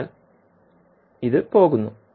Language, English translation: Malayalam, So, what will do